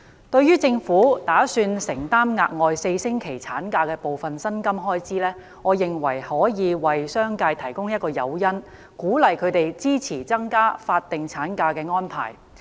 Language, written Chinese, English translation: Cantonese, 對於政府打算承擔額外4周產假的部分薪金開支，我認為可以為商界提供誘因，鼓勵他們支持增加法定產假的安排。, The Government is planning to shoulder part of the salary expenses in relation to the additional four weeks of maternity leave . I believe that this will provide incentive for the commercial sector to support the extension of statutory maternity leave